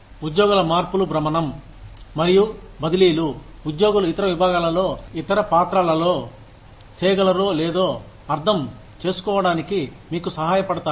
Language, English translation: Telugu, Employee exchanges, rotation and transfers, help you understand, whether employees can function in other departments, in other roles or not